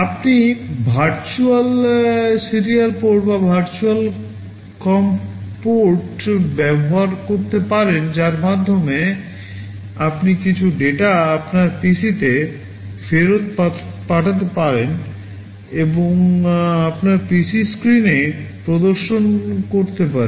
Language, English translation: Bengali, You can use a virtual serial port or virtual com port through which some of the data you can send back to your PC and display on your PC screen